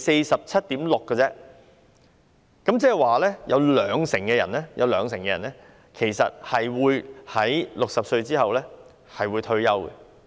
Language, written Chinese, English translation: Cantonese, 只是 47.6% 而已，即有兩成人其實在60歲後退休。, It was only 47.6 % which means that 20 % of the people actually retired after 60